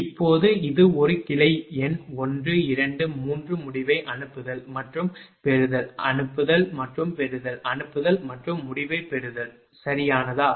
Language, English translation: Tamil, Now, that this the same example for one this a branch number 1 2 3 sending and receiving end, sending and receiving end, sending and receiving end, right